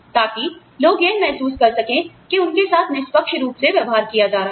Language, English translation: Hindi, So, people feel that, they are being treated fairly